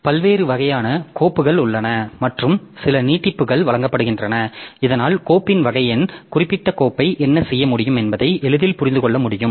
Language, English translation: Tamil, There are different types of files and some extensions are given so that it is easily understandable like what is the type of the file and what can we do with the particular file